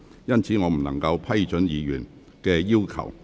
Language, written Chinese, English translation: Cantonese, 因此我不能批准議員的要求。, Therefore I cannot grant permission to Members request